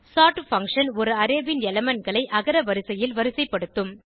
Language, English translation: Tamil, sort function will sort the elements of an Array in alphabetical order